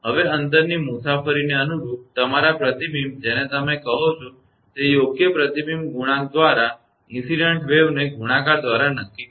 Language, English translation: Gujarati, Now corresponding to the distance travel, the reflections are you are what you call determine by multiplying the incident wave by the appropriate reflection coefficient